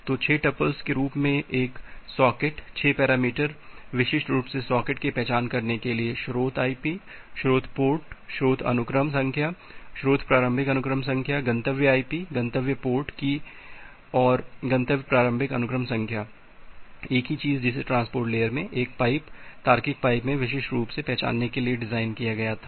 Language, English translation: Hindi, So, a socket as 6 tuples, 6 parameters to uniquely identify a socket, the source IP, the source port, the source sequence number, source initial sequence number, the destination IP, destination port, and destination initial sequence number; the same thing that was designed to uniquely identify a pipe in a, logical pipe in a transport layer